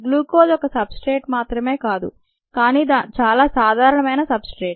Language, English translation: Telugu, glucose is not the only substrates, but it's a very common substrates